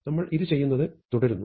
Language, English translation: Malayalam, We keep doing this